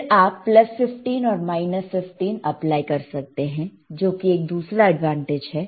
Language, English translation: Hindi, Then you you can apply plus 15 minus 15 right thatwhich is the another advantage